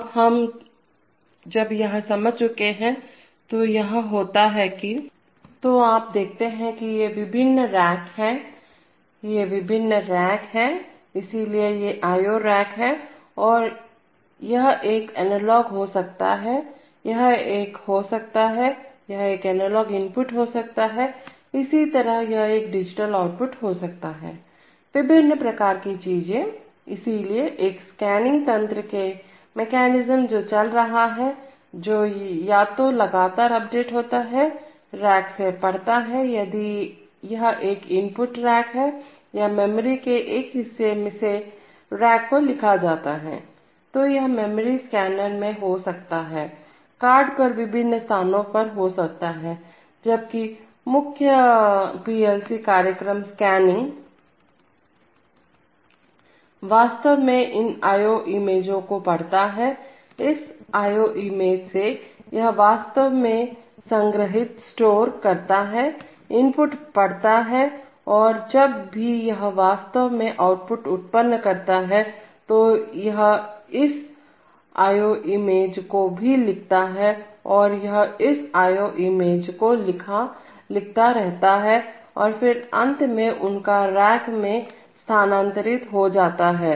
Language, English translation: Hindi, Now, so, having understood this, so what is happening is that, so you see these are the various racks, these are the various racks, so these are the IO racks, this could be an analog in, this could be an, this could be an analog input, similarly this could be a digital output, various kinds of things, so there is a scanning mechanism which goes on, which continuously updates either, reads from the racks depending if it is an input rack or writes to a rack from a part of the memory, this memory can be at the scanner, can be at the cards at the various places, while the one the main PLC program scanning actually reads these IO images, from this IO image, it actually stores, reads the inputs and whenever it actually produces outputs, it also writes to this IO image and so, it keeps writing to this IO image and then finally they get transferred to the racks, so this is how the basic activities go on in a PLC, so now we have to see that what is the result of these activities, this kind of scan, scanning, what kind of response, what kind of impact it has on the various input and output updating, typically we are interested to know how much of delay we can expect in responding to an input change